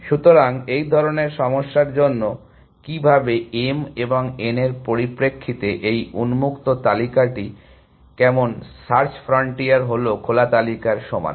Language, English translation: Bengali, So, for such a problem how in terms of m and n, how is this open list, search frontier is equal to the open list